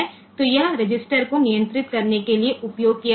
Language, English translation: Hindi, So, this is used to control the register